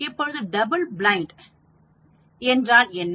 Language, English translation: Tamil, Now, what is double blind